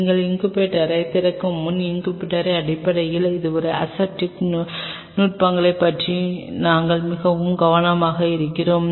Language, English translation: Tamil, While your opening the incubator we very ultra careful about your aseptic techniques in terms of the incubator